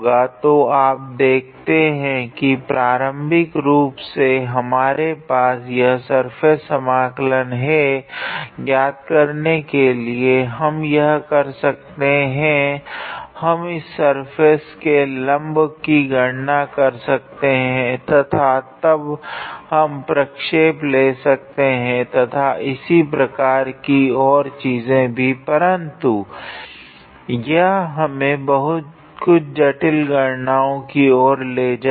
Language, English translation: Hindi, So, you see initially we had this surface integral to evaluate, we could have done that we could have calculated the normal for this surface and then we could have taken the projection and things like that, but it would have lead to a little bit complicated calculation